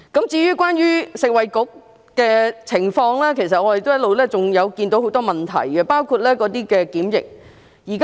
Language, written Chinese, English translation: Cantonese, 至於食物及衞生局，其實我們一直看到很多問題，包括在檢疫方面。, As regards the Food and Health Bureau we have actually noted a lot of problems including those with quarantine